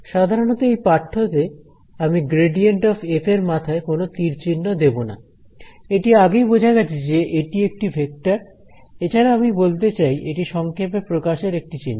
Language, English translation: Bengali, Usually, in this course I will not be putting a arrow on top of the gradient of f, but it is understood that it is a vector, another thing I want to point out is that this is a shorthand notation